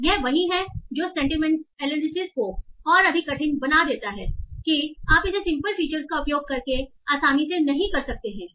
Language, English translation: Hindi, So this, that's what makes sentiment analysis much more difficult that you cannot do it easily by using simple features